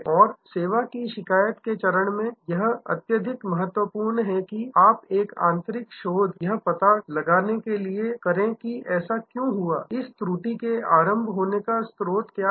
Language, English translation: Hindi, And in the service complains stage, very important that you do internal research to find out, why it happened, what is the origin of the lapse and so on